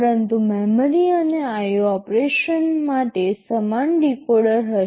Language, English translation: Gujarati, But there will be a the same decoder for memory and IO operation